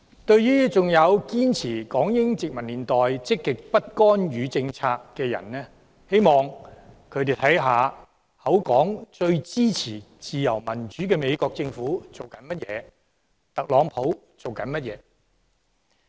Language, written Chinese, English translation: Cantonese, 對於仍然堅持香港應採取港英殖民年代積極不干預政策的市民，我希望他們看看嘴裏說最支持自由民主的美國政府正在做甚麼。, I strongly support all of these in principle . For those who still insist that Hong Kong should continue the positive non - intervention policy adopted by the former British - Hong Kong colonial government I hope that they will look at the United States Government who claims itself to be most supportive of freedom and democracy